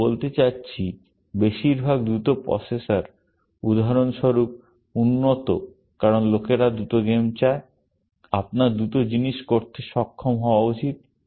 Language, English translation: Bengali, I mean, most of the faster processors, for example, are developed, because people want faster games; you should be able to do things faster